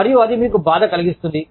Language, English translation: Telugu, And, that makes you sad